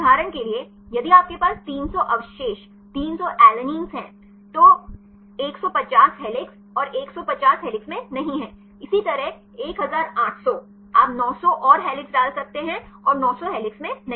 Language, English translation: Hindi, For example, if you have 300 residues 300 alanines, 150 helix and 150 is not in helix, likewise 1800 you can put 900 and helix and 900 not in helix right